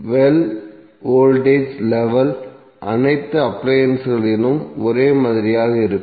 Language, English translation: Tamil, Well voltage level will almost remain same in all the appliances